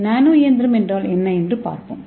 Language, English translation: Tamil, So now let us see a nano machine communication